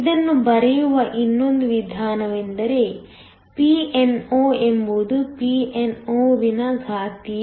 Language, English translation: Kannada, Another way of writing this is nothing but Pno is Ppo exponential